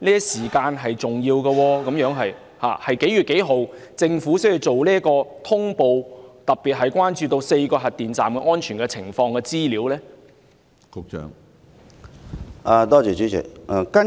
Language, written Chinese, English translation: Cantonese, 時間上的掌握十分重要，政府是何月何日作出查詢，特別是就4個核電站的安全情況作出查詢？, It is very important to have a grasp of the time . On what day and in what month did the Government make the inquiry especially about the safety conditions of the four nuclear power stations?